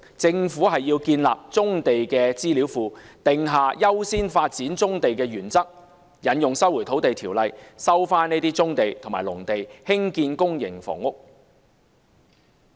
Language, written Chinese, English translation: Cantonese, 政府要建立棕地資料庫，訂下優先發展棕地的原則，引用《收回土地條例》收回棕地和農地，興建公營房屋。, It should establish a brownfield database set a development priority and recover brownfield sites and agricultural land for public housing construction by invoking the Lands Resumption Ordinance